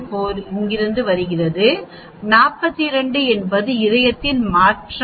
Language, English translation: Tamil, 4 comes from here and 42 is the change in heart